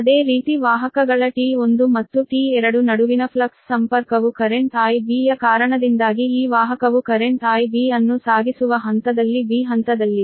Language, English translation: Kannada, similarly, the flux linkage between conductors t one and t two due to current i b, this is that this conductor is in phase b carrying current i b